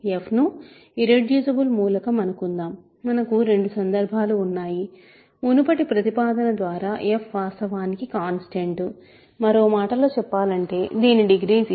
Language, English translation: Telugu, So, let f be an irreducible element, we have two cases; by the previous proposition f is actually a constant; in other words which is degree 0